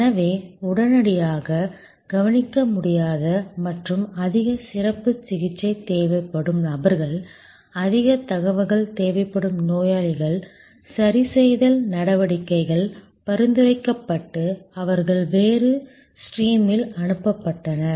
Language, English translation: Tamil, So, people who could not immediately be attended to and needed much more specialized treatment were segregated, patients where more information were needed, corrective actions could be suggested and they were send on another stream